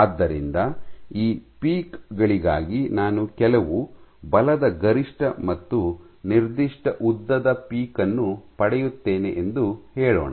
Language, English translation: Kannada, So, for these peaks let us say I get certain force peak and a certain length peak